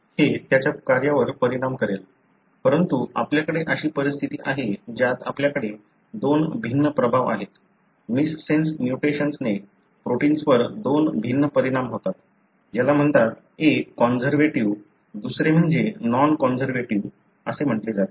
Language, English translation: Marathi, It would affect its function, but you do have conditions wherein you have two distinct effects, missense mutation having two different effects on the protein, which is called, one is called as conservative, other one is non conservative